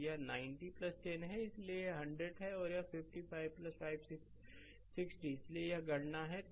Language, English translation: Hindi, So, it is 90 plus 10 so, it is 100 and it is 55 plus 560 so, this calculation is there